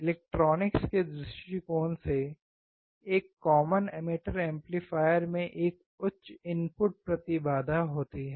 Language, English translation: Hindi, From electronics point of view, a common emitter amplifier has a high input impedance